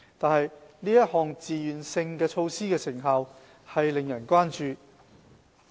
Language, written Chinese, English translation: Cantonese, 但是，這項自願性措施的成效令人關注。, However there are concerns over the effectiveness of this voluntary measure